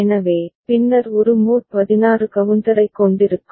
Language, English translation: Tamil, So, then will be having a mod 16 counter